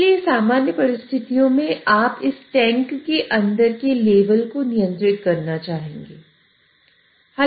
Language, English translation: Hindi, So under normal circumstances, you would want to control the level inside this tank